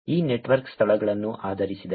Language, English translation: Kannada, This network is based on locations